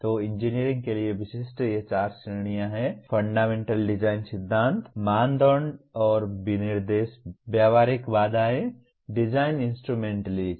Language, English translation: Hindi, So these four categories specific to engineering are Fundamental Design Principles, Criteria and Specifications, Practical Constraints, Design Instrumentalities